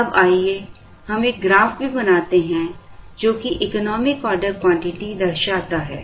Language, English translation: Hindi, Now, let us also try and draw a graph that kind of depicts or shows the economic order quantity